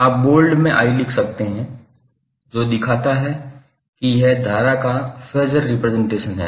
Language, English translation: Hindi, So you can simply write capital I in bold that shows that this is the phasor representation of current